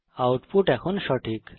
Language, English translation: Bengali, The output is now correct